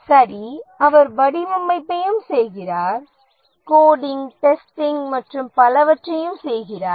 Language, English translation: Tamil, He also does design, also does coding, testing and so on